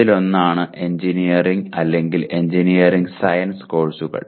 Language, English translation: Malayalam, One is engineering or engineering science courses